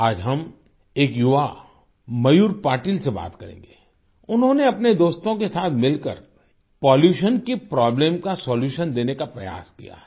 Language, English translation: Hindi, Today we will talk to a young Mayur Patil, he along with his friends have tried to put forward a solution to the problem of pollution